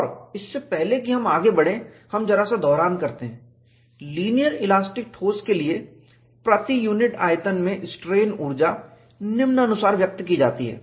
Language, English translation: Hindi, And before we proceed further, we just recapitulate, for linear elastic solids, the strain energy per unit volume is expressed as follows